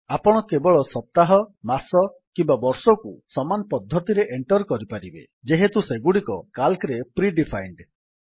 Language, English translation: Odia, You can enter only weekdays, month or year by the same method as they are pre defined in Calc